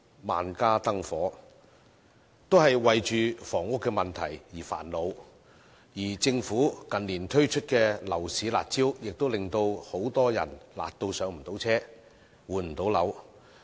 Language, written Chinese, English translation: Cantonese, 萬家燈火，都為房屋問題而煩惱，而政府近年推出的樓市"辣招"也辣到令很多人不能"上車"和換樓。, While numerous households are vexed by the housing problem the curb measures introduced by the Government in recent years are so harsh that many people cannot buy their first home or change flats